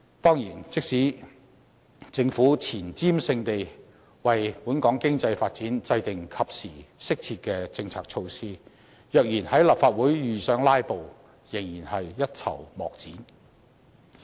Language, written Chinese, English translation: Cantonese, 當然，即使政府前瞻性地為本港經濟發展制訂及時、適切的政策措施，若然在立法會遇上"拉布"，仍然是一籌莫展的。, Of course even if the Government is prescient enough to formulate timely and appropriate policy measures for the economy its hands will be tied once it meets filibuster in the Legislative Council